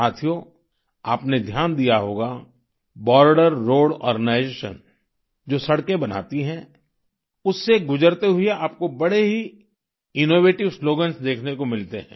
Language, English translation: Hindi, you must have noticed, passing through the roads that the Border Road Organization builds, one gets to see many innovative slogans